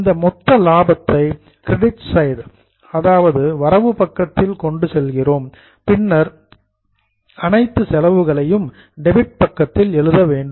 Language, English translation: Tamil, Now this gross profit we are carrying it over on the credit side and then we will charge all the expense